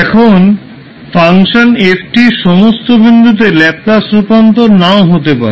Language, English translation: Bengali, Now, the function ft may not have a Laplace transform at all points